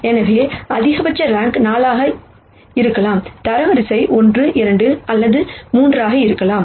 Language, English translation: Tamil, So, the maximum rank can be 4, the rank could be 1 2 or 3